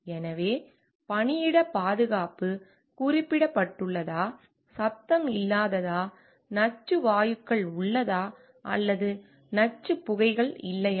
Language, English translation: Tamil, So, like whether workplace safety is mentioned, whether there free of noise, then toxic gases are there or not toxic fumes